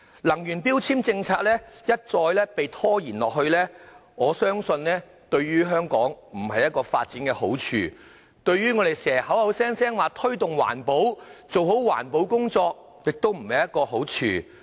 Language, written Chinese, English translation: Cantonese, 能源標籤政策一再被拖延，我相信對於香港的發展並無好處，對推動環保亦無好處。, I believe repeated delays to the energy efficiency labelling policy are neither conducive to the development of Hong Kong nor to the promotion of environmental protection